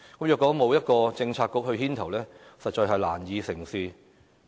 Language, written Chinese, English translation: Cantonese, 如果沒有一個政策局牽頭，實在難以成事。, If no Policy Bureau is to assume a leading role all efforts will be to no avail